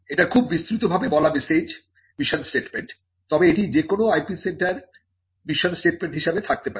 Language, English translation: Bengali, It is very broadly worded message mission statement, but this is something which any IP centre can have as it is mission statement